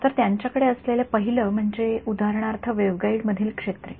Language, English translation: Marathi, So, the first example they have is for example, fields in a waveguide